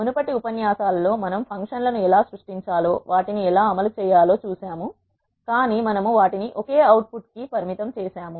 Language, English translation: Telugu, In the previous lectures we have seen how to create functions, how to execute them, but we have limited ourselves to the single output